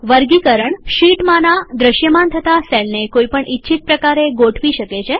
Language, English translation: Gujarati, Sorting arranges the visible cells on the sheet in any desired manner